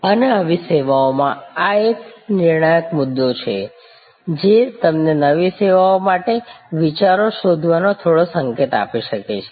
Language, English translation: Gujarati, And this is the critical issue in such services, which can give you some hint of looking for ideas for new services